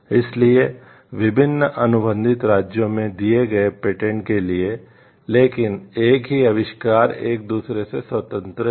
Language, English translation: Hindi, So, for the patents granted in different contracting states, but the same invention are independent of each other